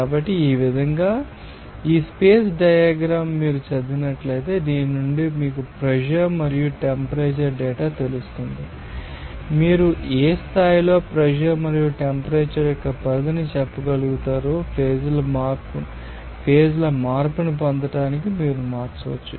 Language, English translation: Telugu, So, in this way this space diagram if you know to read then from this you know pressure and temperature data, you will be able to say what extent of pressure and what extent of temperature, you can change to get it change of phases